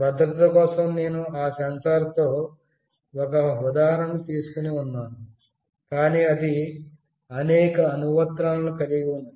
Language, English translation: Telugu, For security I will be taking one example with that sensor, but it has got many other applications